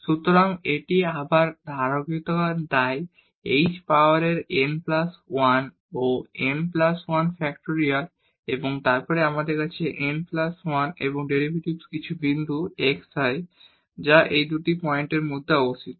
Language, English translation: Bengali, So, it is a continuation again so h power n plus 1 over n plus 1 factorial and then we have the n plus 1 and derivative at some point xi which lies between these two points